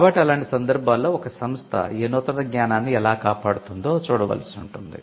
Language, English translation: Telugu, So, in such cases you may have to look at how your institution can protect new knowledge